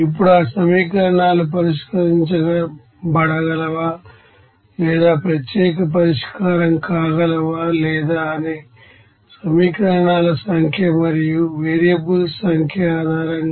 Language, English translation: Telugu, Now based on that number of equations and number of variables whether these you know equations can be you know solved or unique solution or not